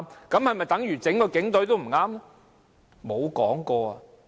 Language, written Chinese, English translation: Cantonese, 這是否等於整個警隊都犯錯？, Does it mean that the entire Police Force has committed mistakes?